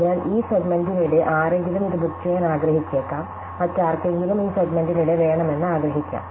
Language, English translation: Malayalam, So, somebody may want to book it during this segment, somebody else may want to book it in this segment, somebody else may want it during this segment and so on